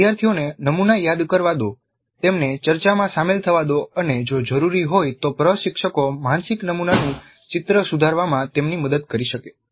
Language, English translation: Gujarati, Let the students recall the model and let them engage in a discussion and instructors can help them correct the picture of the mental model if necessary